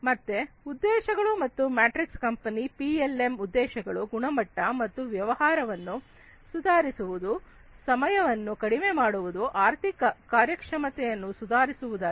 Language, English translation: Kannada, So, objectives and metrics, the objective of a company for PLM is to improve the quality and business, reduce the time, improve the financial performance